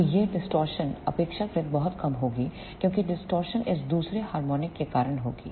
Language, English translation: Hindi, So, this distortion will be relatively very less because the main distortion will be due to this second harmonic